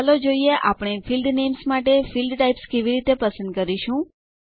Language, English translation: Gujarati, Let us see how we can choose Field Types for field names